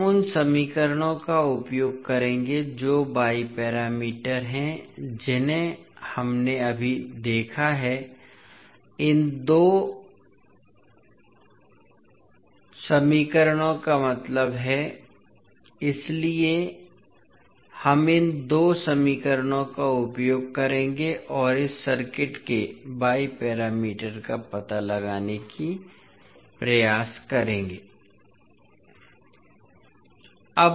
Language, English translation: Hindi, We will use the equations that is y parameters what we just saw means these two these two equations, so we will use these two equations and try to find out the y parameters of this circuit